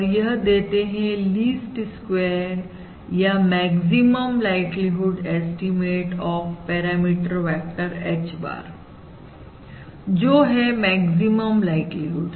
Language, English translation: Hindi, so basically, this gives the least squares or the maximum likelihood estimate of this parameter vector H bar, and this is also the maximum likelihood estimate